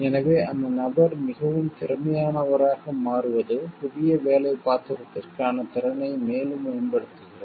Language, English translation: Tamil, So, that the person becomes more efficient more develops the competency for a new job role